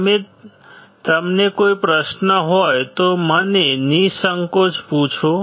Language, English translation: Gujarati, If you have any questions feel free to ask me